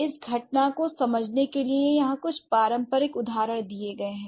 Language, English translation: Hindi, So, here are a few traditional examples to understand this phenomenon